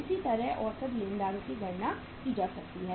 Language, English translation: Hindi, Similarly, the average creditors